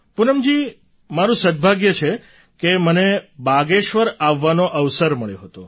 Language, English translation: Gujarati, Poonam ji, I am fortunate to have got an opportunity to come to Bageshwar